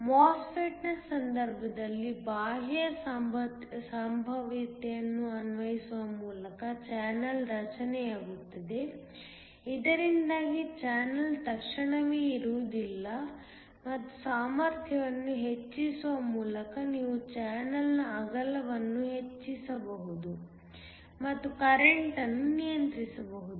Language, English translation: Kannada, In the case of a MOSFET, the channel is formed by applying an external potential so that the channel is not immediately there and by increasing the potential you can increase the width of the channel and control the current